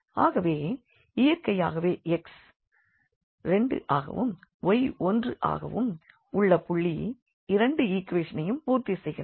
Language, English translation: Tamil, So, the solution is x is equal to 2 and y is equal to 1 of this system